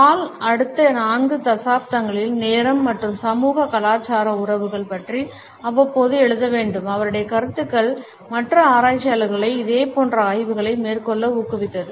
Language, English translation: Tamil, Hall was to write periodically about time and the socio cultural relations over the next four decades and his ideas have encouraged other researchers to take up similar studies